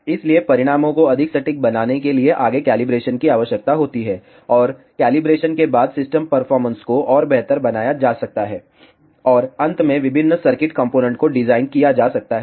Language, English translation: Hindi, So, for the calibration is required to make the results more accurate and the system performance can be further improved after calibration and finally, design the different circuit components